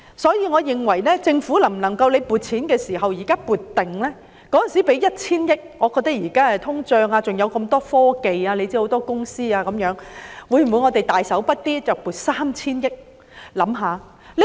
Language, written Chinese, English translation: Cantonese, 因此，我認為政府可考慮預先撥款，既然當年撥出 1,000 億元，如今顧及通脹及科技公司眾多，當局可否"大手筆"地撥出 3,000 億元呢？, Hence I think the Government should consider setting aside funding for such purpose . As the authorities allocated 100 billion back then so taking into account inflation and the significant growth in the number of technology companies will the authorities generously make a provision of 300 billion?